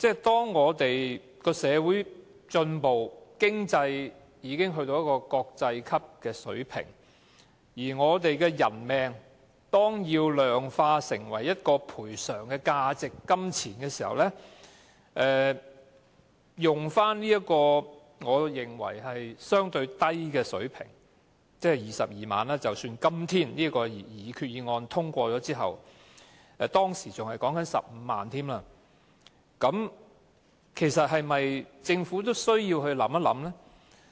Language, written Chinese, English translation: Cantonese, 當社會進步，經濟已經達到國際級的水平，而我們的人命要量化成一個賠償價值和金額時，使用這個我認為是相對低的水平——即使今天的擬議決議案獲通過之後，賠償金額也只是22萬元，當時更只有15萬元——其實政府也有需要予以認真考慮。, Our society has been progressing and our economic affluence has attained world - class levels . So the Government must seriously consider whether we should still use this relatively small bereavement sum to quantify the loss of a human life―you see the sum is just 150,000 now and even after the passage of the resolution today it will still be very small merely 220,000